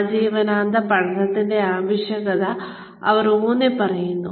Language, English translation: Malayalam, They are emphasizing, the need for lifelong learning, quite a bit